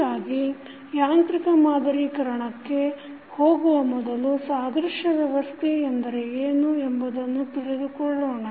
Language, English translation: Kannada, So, before proceeding to the mechanical modeling, let us understand what the analogous system means